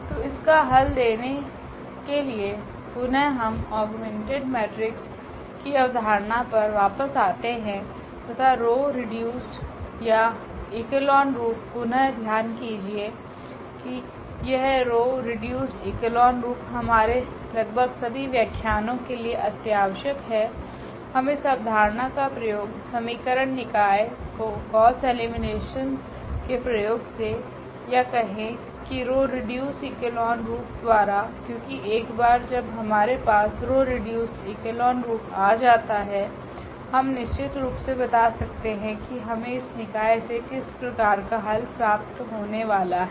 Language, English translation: Hindi, So, to answer this again we have to get back to this the idea of the augmented matrix and the row reduced or echelon form again just note that this row reduced echelon form is very important almost in our lectures we will be utilizing the idea of this solving the system of equations, using gauss elimination or rather saying this reducing to this row reduced echelon form because once we have this row reduced echelon form, we can tell exactly that what type of solution we are getting out of this given system